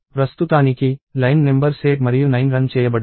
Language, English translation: Telugu, So, as of now, line numbers 8 and 9 have executed